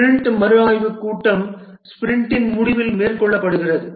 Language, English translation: Tamil, The sprint review meeting, this is conducted at the end of the sprint